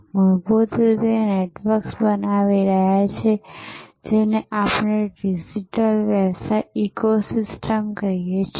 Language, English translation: Gujarati, So, fundamentally the networks are creating what we call digital business ecosystem